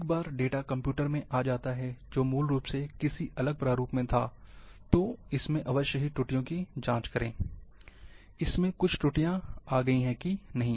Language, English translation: Hindi, Once the data come into the system, which was originally in different format, must check for errors, whether it has introduced some errors or not